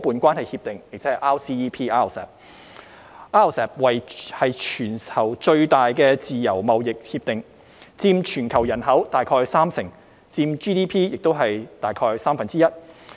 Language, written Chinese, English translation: Cantonese, RCEP 是全球最大的自由貿易協定，佔全球人口大概三成 ，GDP 亦佔全球大概三分之一。, RCEP is the worlds largest free trade agreement FTA covering about 30 % of the worlds population and around one third of the worlds GDP